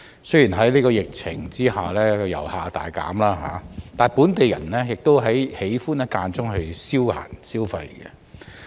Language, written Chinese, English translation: Cantonese, 雖然在疫情下遊客人數大減，但本地人亦很喜歡間中前往這些跳蚤市場消閒、消費。, Notwithstanding a drastic drop in the number of tourists under the pandemic these flea markets see local people coming for leisure and shopping from time to time